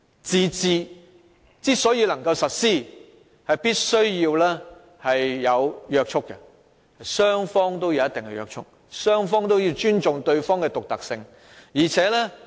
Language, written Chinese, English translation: Cantonese, "自治"要實施，雙方都要有一定的約束，雙方也要尊重對方的獨特性。, The implementation of autonomy requires certain constraints of both parties and mutual respect of the uniqueness of another party